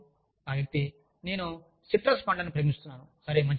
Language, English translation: Telugu, And, the person says, i love citrus fruits